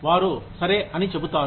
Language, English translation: Telugu, They will say, okay